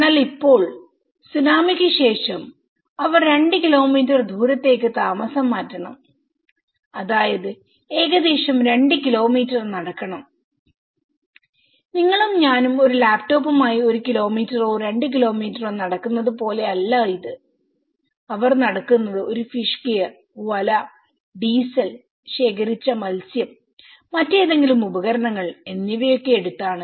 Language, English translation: Malayalam, But now, after the tsunami they have to relocate to two kilometres which is almost taking a person has to walk almost 2 kilometres and you say you and me are walking with a laptop or a small with one kilometre or two kilometres but they are walking with a fish gear, net, diesel, the collected fish, any other equipments